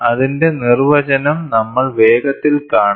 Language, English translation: Malayalam, We will quickly see it is definition